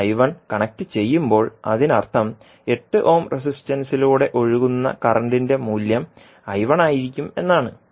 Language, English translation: Malayalam, So when you connect I 1 it means that the value of current flowing through 8 ohm resistance will be I 1